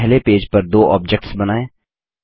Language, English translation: Hindi, Draw two objects on page one